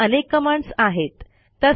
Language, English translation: Marathi, There are many more commands